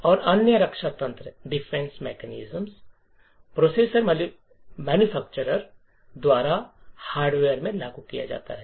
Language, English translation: Hindi, And other defense mechanism is implemented in the hardware by the processor manufactures